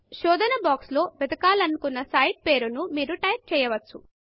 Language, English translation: Telugu, You can type in the name of the site that you want to search for in the search box